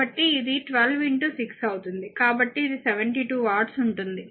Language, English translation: Telugu, So, it will be your 12 into 6 so, your thing it will be 72 watt